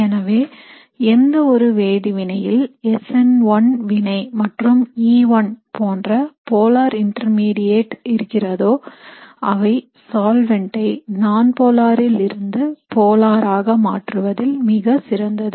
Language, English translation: Tamil, So reactions which typically involve a polar intermediate like an SN1 reaction or an E1 will have a greater influence with a change in solvent from nonpolar to polar